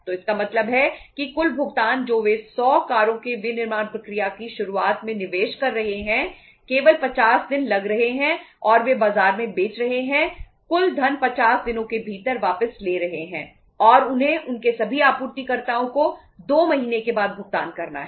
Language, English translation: Hindi, So it means the total payment which they are investing at the beginning of starting of the manufacturing process of say 100 cars it is only taking 50 days and they are selling in the market recovering the total funds within 50 days everything is done and they have to make the payment after 2 months to their all suppliers